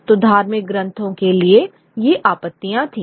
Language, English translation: Hindi, So there were these objections to religious texts